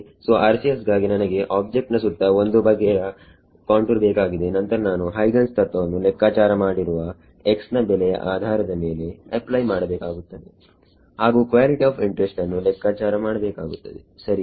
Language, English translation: Kannada, So, for RCS I will need some kind of contour around the object then I will apply Huygens principle based on the values have calculated of x on that and find out the quantity of interest right